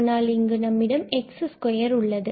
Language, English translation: Tamil, So, we have 2 over 5 and x power 4